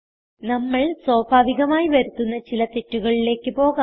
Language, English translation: Malayalam, Now let us move on to some common errors which we can come across